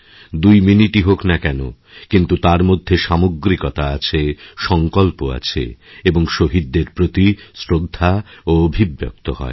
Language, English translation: Bengali, This 2 minutes silence is an expression of our collective resolve and reverence for the martyrs